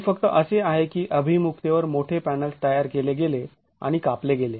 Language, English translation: Marathi, It's just that big panels were constructed and cut at an orientation